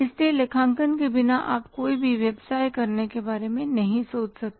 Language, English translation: Hindi, So, accounting without accounting you can't think of doing any business